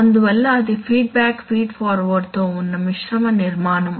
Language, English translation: Telugu, So that is why it is a mixed feedback feed forward structure